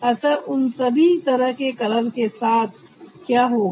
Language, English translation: Hindi, so what will happen with all this kind of colors